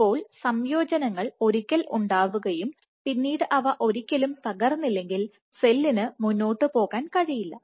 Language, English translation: Malayalam, That is your additions once formed if they do not break then the cell cannot propel itself forward